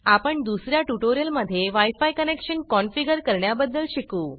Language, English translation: Marathi, You will learn about configuring wi fi connections in another tutorial